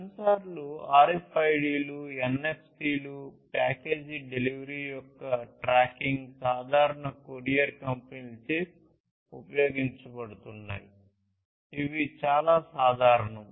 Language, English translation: Telugu, Sensors being used RFIDs, NFCs, tracking of package delivery, typically by courier companies this is quite common